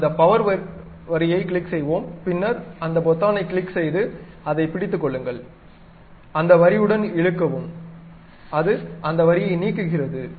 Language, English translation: Tamil, Let us click that power line, then click that button hold it, drag along that line, it removes that line